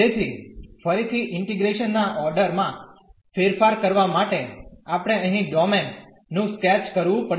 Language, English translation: Gujarati, So again to change the order of integration we have to sketch the domain here